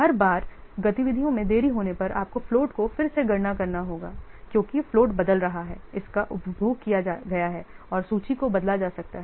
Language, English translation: Hindi, So each time the activity is delayed, you have to re compute the float because the float is changing, it is consumed and the list may be changed